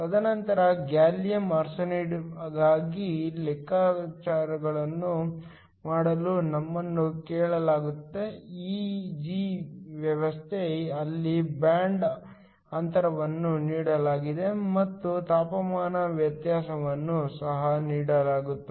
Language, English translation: Kannada, And then, we are asked to do the calculations for a gallium arsenide system, where the band gap is given and also the temperature variation is given